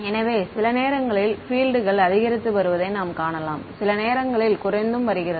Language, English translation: Tamil, So, you might find sometimes the fields are increasing sometimes the decreasing